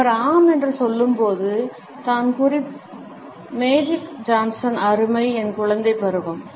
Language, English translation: Tamil, And when he say yes I (Refer Time: 10:47) magic Johnson nice (Refer Time: 10:49) my childhood